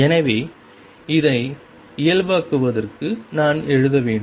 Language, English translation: Tamil, And therefore, to normalize it, I have to write